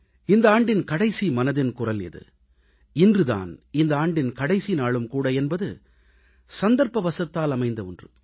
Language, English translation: Tamil, This is the last edition of 'Mann Ki Baat' this year and it's a coincidence that this day happens to be the last day of the year of 2017